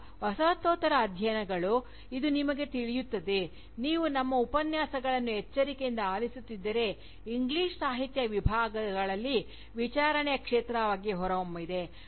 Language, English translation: Kannada, Now, Postcolonial studies again, this you will know, if you have been listening carefully to our Lectures, emerged as a field of enquiry, within the English Literature Departments